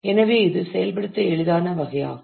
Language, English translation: Tamil, So, this is a easiest case to implement